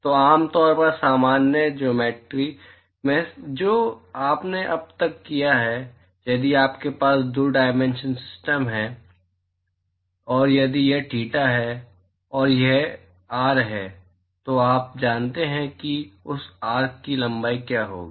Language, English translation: Hindi, So typically in normal geometry that you have done so far so supposing if you have a 2 dimensional of system, and if this is theta, and this is r, you know what is going to be the length of that arc right